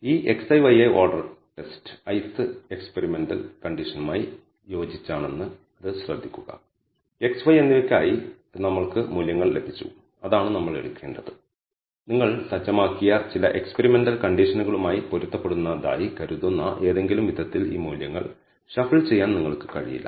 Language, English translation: Malayalam, Notice again that this x i and y i order test in the sense that corresponding to the experimental condition ith experiment; we have obtained values for x and y and that is that is what we have to take you cannot shu e these values any which way they are known assumed to be corresponding to some experimental conditions that you have set